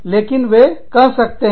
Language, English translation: Hindi, But then, they may